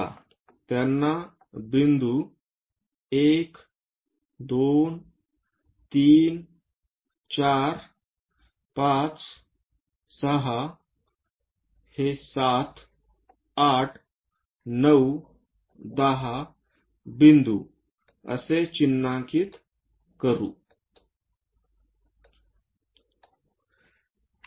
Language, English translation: Marathi, Let us label them this point is 1, 2, 3, 4, 5, 6, this 7, 8, 9, 10 points